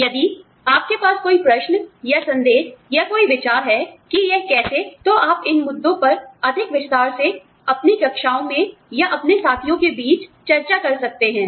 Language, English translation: Hindi, If you have, any questions, or doubts, or any ideas, on how, you can discuss these issues, in greater detail, in your classrooms, or among your peers